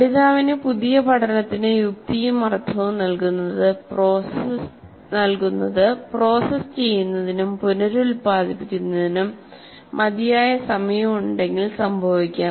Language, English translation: Malayalam, The assignment of sense and meaning to new learning can occur only if the learner has adequate time to process and reprocess it